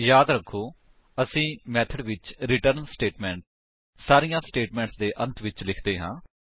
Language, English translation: Punjabi, Remember that we write the return statement at the end of all statements in the method